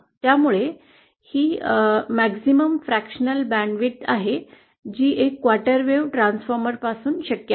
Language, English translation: Marathi, So this is the maximum fractional band width that is possible from a quarter wave transformer